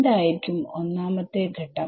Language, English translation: Malayalam, What is step 1